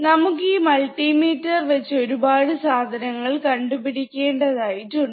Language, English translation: Malayalam, And we have measure a lot of things using this multimeter